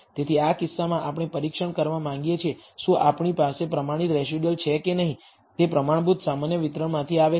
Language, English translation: Gujarati, So, in this case we want to test, whether residuals that we have the standardized residuals, come from a standard normal distribution